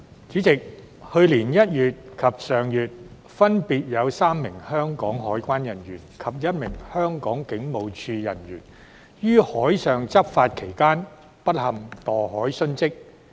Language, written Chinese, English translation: Cantonese, 主席，去年1月及上月，分別有3名香港海關人員及1名香港警務處人員於海上執法期間不幸墮海殉職。, President in January last year and last month respectively three officers of the Customs and Excise Department and an officer of the Hong Kong Police Force unfortunately fell overboard and died while discharging law enforcement duties at sea